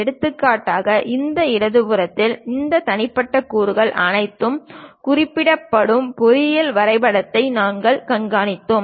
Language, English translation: Tamil, For example, on this left hand side we are showing such kind of engineering drawing where all these individual components are represented